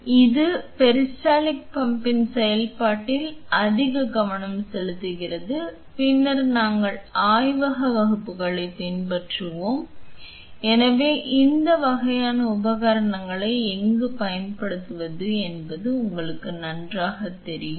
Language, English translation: Tamil, So, that is more focus on the operation of the peristaltic pump and then we will follow with the lab classes so, that you have a better idea of where to use this kind of equipment